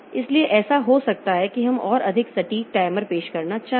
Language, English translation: Hindi, So, it may so happen that we may want to introduce more accurate timers